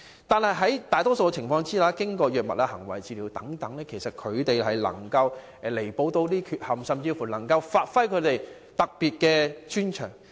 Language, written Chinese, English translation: Cantonese, 但是，在大多數情況下，他們能夠透過藥物和行為治療彌補這些缺陷，甚至發揮他們特有的專長。, Under most circumstances however they can rectify their defects through drug and behavioural therapies to exploit their unique strength